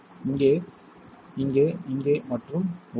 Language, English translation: Tamil, Here, here, here and inside